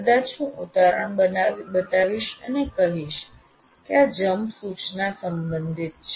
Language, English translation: Gujarati, Maybe I will show an example and say this is how the jump instruction is relevant